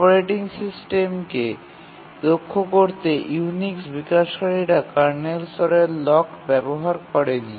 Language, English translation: Bengali, The developers of the Unix to make the operating system efficient did not use kernel level locks